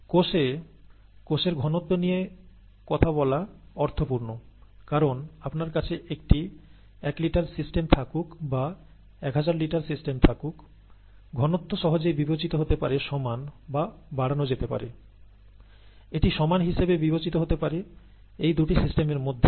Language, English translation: Bengali, Cell, see cell , talking of cell concentration makes sense, okay, because whether you have a one litre system, or whether you have a ten thousand litre system, this concentration can easily be considered the same or can be scaled up, can be considered to be equal in between these two systems